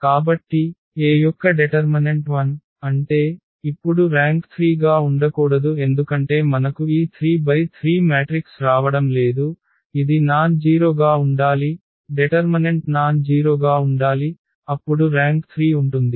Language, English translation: Telugu, So, the determinant of A is 0; that means, now the rank cannot be 3 because we are not getting this 3 by 3 matrix, it should be nonzero the determinant should be nonzero then the rank will be 3 So, now the rank will be less than 3